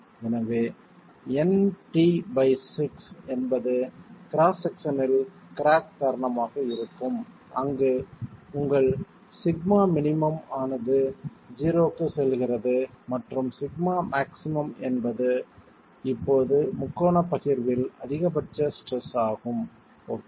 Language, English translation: Tamil, So n into t by 6 will be the cracking moment in the cross section where your sigma minimum goes to 0 and sigma max is now the maximum stress in a triangular distribution